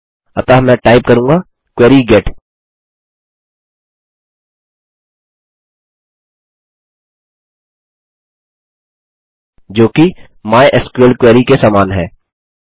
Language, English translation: Hindi, So I will type query get which is equal to mysql.........